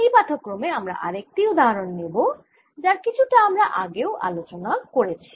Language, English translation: Bengali, in this lecture i will take another example which we talked about